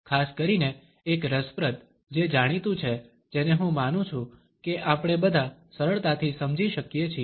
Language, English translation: Gujarati, A particularly interesting one is known as which I presume all of us can understand easily